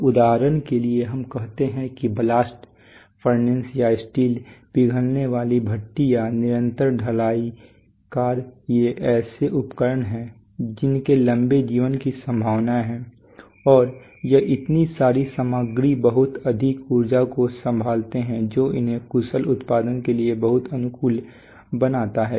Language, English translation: Hindi, So for example the let us say the blast furnace or the steel melting furnace or the continuous caster these are equipment which are likely to have a long life, so and they handled so much of equipment so much of, I mean so much of material so much of energy that it makes sense to make them very tuned for efficient production, so factory types are typically